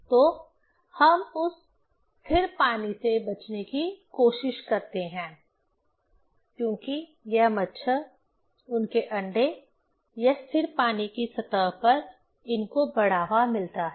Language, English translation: Hindi, So, we try to avoid that stagnant water, because this mosquito, their eggs, it is provoked on the stagnant water surface